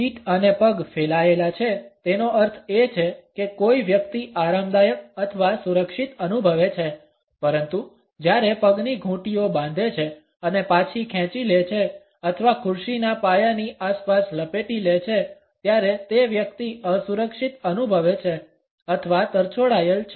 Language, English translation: Gujarati, Feet and legs outstretched means that someone feels comfortable or secure, but when ankles lock and withdraw or even wrap around the legs of the chair that person feels insecure or left out